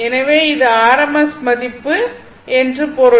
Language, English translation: Tamil, So, this is your rms value